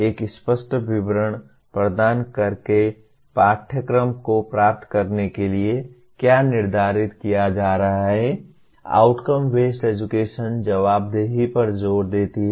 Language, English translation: Hindi, By providing an explicit statement what the curriculum is setting out to achieve, outcome based education emphasizes accountability